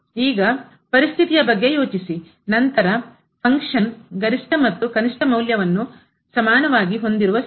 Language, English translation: Kannada, Now, think about the situation, then the where the function is having maximum and the minimum value as same